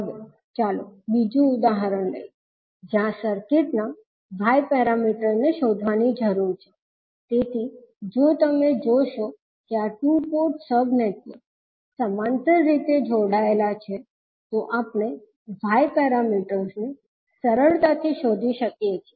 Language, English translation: Gujarati, Now, let us take another example where we need to find out the Y parameters of the circuit, so if you see these two port sub networks are connected in parallel so we can easily find out the Y parameters